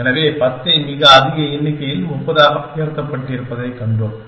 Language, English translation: Tamil, So, we have seen the 10 raised to 30, extremely large numbers